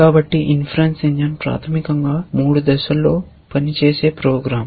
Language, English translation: Telugu, So, the inference engine is basically a program which works in three phases